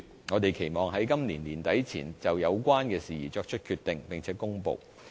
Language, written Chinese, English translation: Cantonese, 我們期望在今年年底前，就有關事宜作出決定並且作出公布。, We anticipate that we will arrive at a decision and make an announcement on this matter by the end of this year